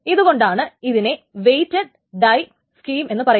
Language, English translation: Malayalam, So the first one is called a weight die scheme